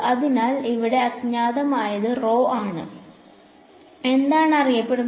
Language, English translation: Malayalam, So, what is unknown over here is rho and what is known